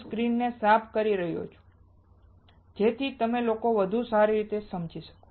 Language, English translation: Gujarati, I am clearing out the screen, so that you guys can see better